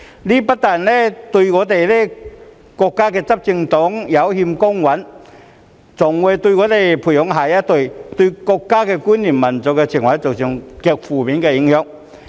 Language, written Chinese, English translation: Cantonese, 這不但對國家執政黨有欠公允，更會對我們培養下一代的國家觀念和民族情懷造成極負面的影響。, Not only is this unfair to the ruling party of our country but is also extremely detrimental to the cultivation of national identity and nationalism among the next generation